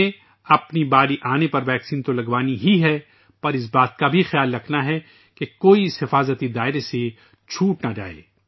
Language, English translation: Urdu, We have to get the vaccine administered when our turn comes, but we also have to take care that no one is left out of this circle of safety